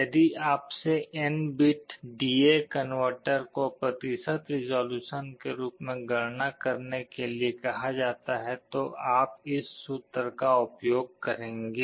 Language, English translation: Hindi, If you are asked to compute the percentage resolution of an N bit D/A converter, you will be using this formula